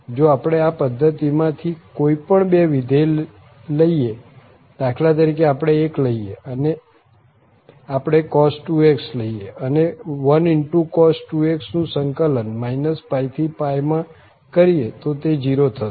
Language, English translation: Gujarati, If we take any two functions from this system, for instance, we take 1, we take cos2x and 1 into cos 2x and then integrate from this minus pi to pi dx